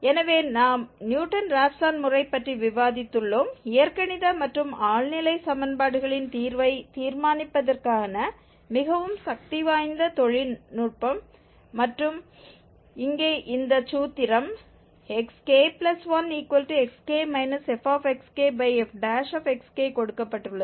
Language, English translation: Tamil, So we have discussed the Newton Raphson method, a very powerful technique for determining the root of, or the roots of the algebraic and transcendental equations and this formulation here is based on this formula xk plus 1, xk, f xk, and f prime xk